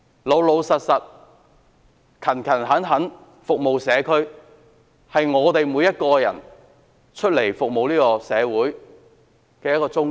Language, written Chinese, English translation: Cantonese, 老實而勤懇地服務社區，是我們每一個服務社會的人的宗旨。, Every one of us who serve the community is dedicated to serving with honesty and diligence